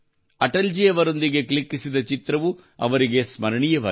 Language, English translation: Kannada, The picture clicked there with Atal ji has become memorable for her